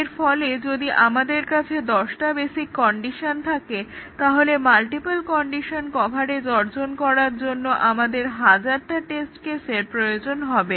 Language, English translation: Bengali, And therefore, if we have ten basic conditions, we need thousand test cases to achieve multiple condition coverage